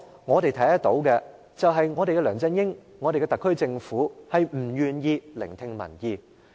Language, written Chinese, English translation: Cantonese, 我們看得到的是，梁振英及特區政府均不願意聆聽民意。, We can see that LEUNG Chun - ying and the SAR Government are never willing to heed public opinions